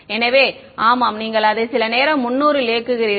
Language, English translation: Tamil, So, yeah whatever then you run it for some time 300 ok